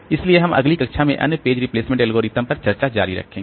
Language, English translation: Hindi, So, we'll continue discussing on other page replacement algorithms in the next class